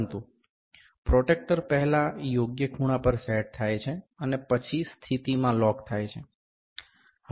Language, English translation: Gujarati, But, the protractor is first set to correct angle, and then locked in the position